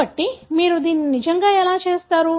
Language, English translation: Telugu, How do you really do this